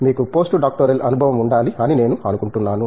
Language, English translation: Telugu, I think you should have postdoctoral experience